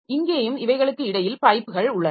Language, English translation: Tamil, So, here also we have got these pipes between them